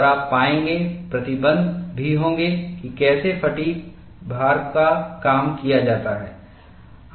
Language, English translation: Hindi, And you will find, there will also be restrictions on how fatigue loading has to be done